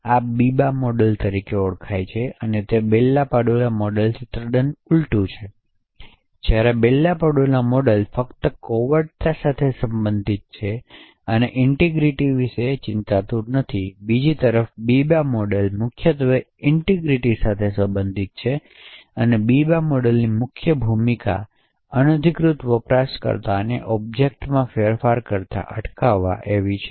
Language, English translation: Gujarati, now so this is known as the Biba model and essentially it is the Bell LaPadula model upside down, while the Bell LaPadula model is only concerned with confidentiality and is not bothered about integrity, the Biba model on the other hand is mainly concerned with integrity, so the main role of the Biba model is to prevent unauthorized users from making modifications to an object